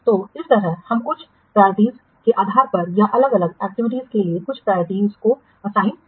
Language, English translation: Hindi, So, in that way we will assign some priorities depending to the different activities depending upon certain parameters